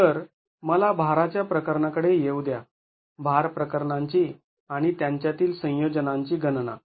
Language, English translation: Marathi, So, let me come to the load cases, calculations of the load cases and the combinations thereof